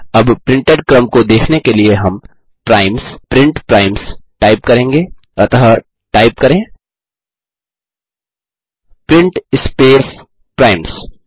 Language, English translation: Hindi, We now type primes,print primes to see the sequence printed so type print space primes